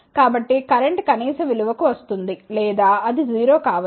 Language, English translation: Telugu, So, the current will come to a minimum value or it may be 0